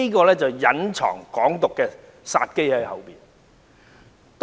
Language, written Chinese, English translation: Cantonese, 它背後隱藏着"港獨"的殺機。, Hidden behind it is the deadly danger of Hong Kong independence